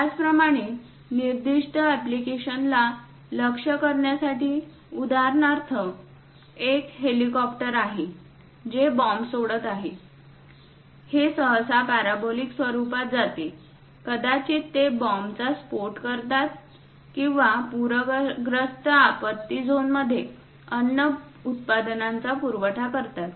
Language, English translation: Marathi, Similarly to target specified application, for example, there is an helicopter which is releasing a bomb; it usually goes in parabolic format, it might be bombed or perhaps in calamities supplying food products to flooded zones